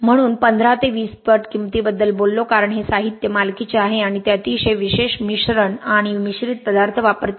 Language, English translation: Marathi, So talked about 15 to 20 times the cost because these materials are proprietary and they use very special admixtures and the additives